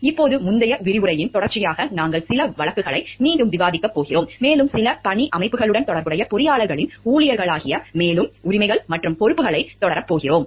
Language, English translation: Tamil, In continuation with the earlier lecture now, we are going to discuss again some of the cases and continue with the further rights and responsibilities of the engineers as employees, who are related to some work organizations